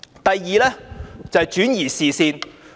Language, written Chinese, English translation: Cantonese, 第二是轉移視線。, Second they attempted to divert attention